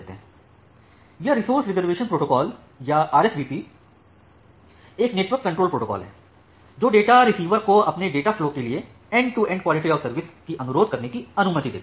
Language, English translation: Hindi, So, this resource reservation protocol or RSVP, is a network control protocol that allows data receiver to request a special end to end quality of service for its data flow